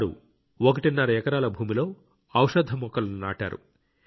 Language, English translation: Telugu, He has planted medicinal plants on one and a half acres of land